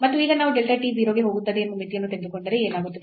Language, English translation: Kannada, And now if we take the limit as delta t goes to 0 then what will happen